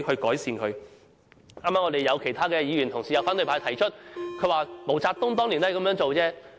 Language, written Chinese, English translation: Cantonese, 剛才有其他的議員同事、有反對派提出，毛澤東當年也是這樣做。, Just now other Honourable colleagues and the opposition camp pointed out that back in those years MAO Zedong also did the same thing